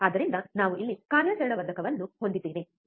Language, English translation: Kannada, So, we have a operational amplifier here, right